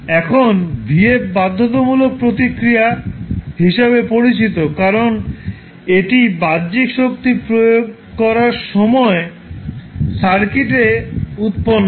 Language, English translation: Bengali, Now, if you see vf, vf is known as the forced response because it is produced by the circuit when an external force was applied